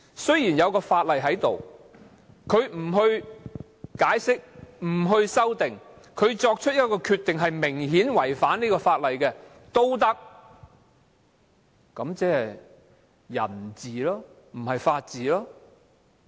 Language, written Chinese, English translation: Cantonese, 雖然有法例，但不解釋、不修訂而作出明顯違反法例的決定，這即是人治，而非法治。, Making a decision that clearly contravenes the law instead of giving an interpretation or making amendments to it is not giving play to the rule of law but the rule of man